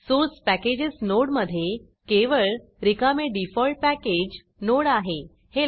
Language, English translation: Marathi, Note that the Source Packages node contains only an empty default package node